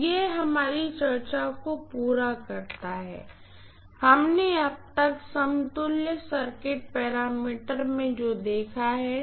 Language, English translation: Hindi, So this completes our discussion on what we had seen so far is equivalent circuit parameters, right